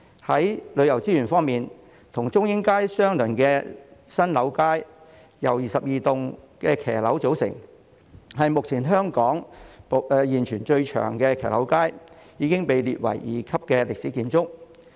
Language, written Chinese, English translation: Cantonese, 在旅遊資源方面，與中英街相鄰的新樓街，由22棟騎樓組成，是目前香港現存最長的騎樓街，已經被列為二級歷史建築。, As for tourism resources San Lau Street which parallels to Chung Ying Street is made up of 22 shop - houses . It is currently the longest street with shop - houses in Hong Kong and has been classified as a Grade 2 historic building